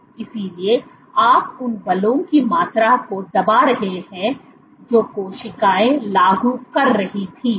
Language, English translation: Hindi, So, you are perturbing the amount of magnitude of the forces which the cells were exerting